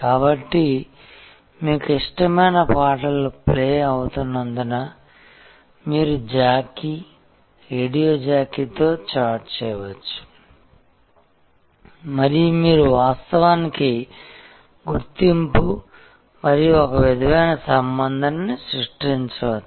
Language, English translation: Telugu, So, as your favorite songs are getting played, you can call in you can chat with the jockey, radio jockey and you can actually create a recognition and some sort of relationship